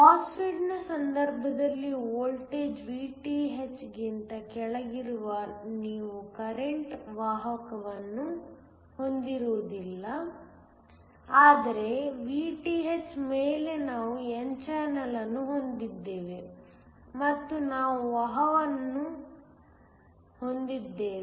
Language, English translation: Kannada, In the case of a MOSFET, you will not have current conduction when the voltage is below Vth, but above Vth we now have an n channel and we have conduction